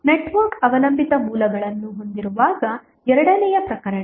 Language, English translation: Kannada, Second case would be the case when network has dependent sources